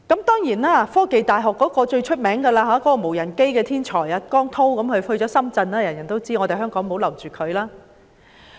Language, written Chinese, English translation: Cantonese, 當然，科技大學最著名的"無人機"天才汪滔落戶深圳，大家也知道香港留不住他。, Certainly we see that WANG Tao the most famous talent in drone development and a graduate of The Hong Kong University of Science and Technology has settled in Shenzhen